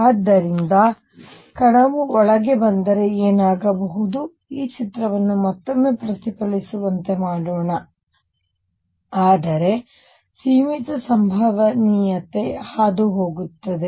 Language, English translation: Kannada, So, what would happen is particle would come in let me make this picture again would come in get reflected, but there is a finite probability that will go through